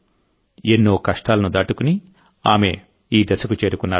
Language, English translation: Telugu, She has crossed many difficulties and reached there